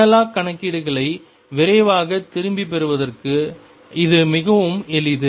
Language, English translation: Tamil, And it comes in very handy for quick back of the analog calculations